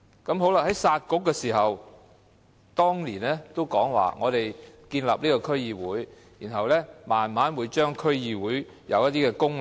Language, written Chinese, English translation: Cantonese, 在"殺局"的時候，孫明揚在1999年說，在建立區議會後，會慢慢深化、強化區議會的功能。, In 1999 in scrapping the Municipal Councils Michael SUEN said that after the District Councils DCs were established their functions would be gradually deepened and strengthened